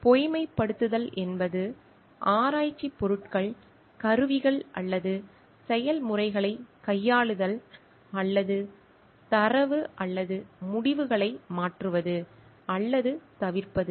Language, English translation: Tamil, Falsification is manipulating research materials equipments or processes or changing or omitting data or results